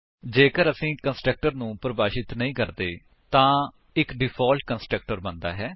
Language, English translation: Punjabi, If we do not define a constructor then a default constructor is created